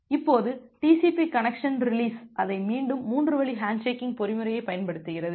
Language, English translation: Tamil, Now, TCP connection release it again uses the 3 way handshaking mechanism